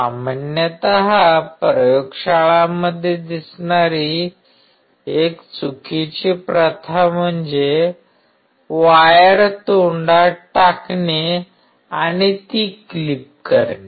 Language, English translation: Marathi, A wrong practice usually seen in the laboratories is putting the wire in the mouth and clipping it out